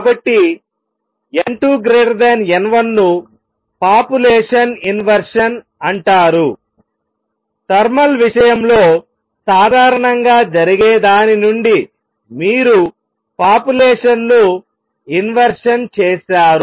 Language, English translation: Telugu, So, n 2 greater than n 1 is called population inversion, you have inverted the population from what normally happens in thermal case